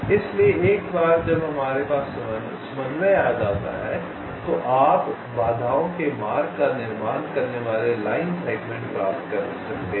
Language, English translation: Hindi, ok, so once we have the coordinate, you can get the line segments that constitute the, the path of the obstacles